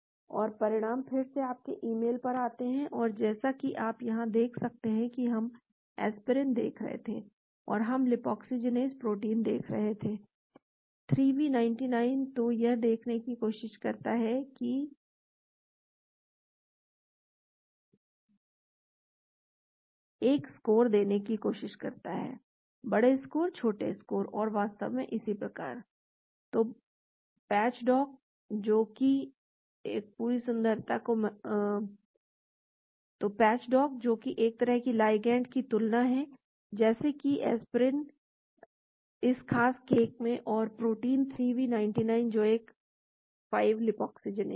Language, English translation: Hindi, And the results again come to your email and as you can see here we were looking at the aspirin and we were looking at 5 lipoxygenase protein; 3v99, so it tries to see and try to give a score , big score, small score and so on actually, so patch dock that is sort of comparison of a ligand like aspirin in this particular case and protein 3v99 that is a 5 lipoxygenase